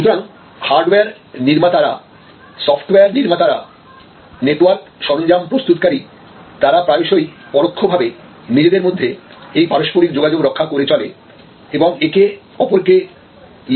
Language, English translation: Bengali, So, hardware manufacturers, software manufacturers, network equipment manufacturers they often indirectly keep this interactions going and give each other leads